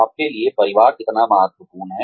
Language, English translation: Hindi, How important is family to you